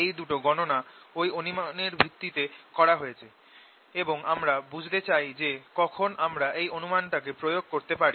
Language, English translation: Bengali, these two calculations have been done under that approximation and we want to understand when we can apply this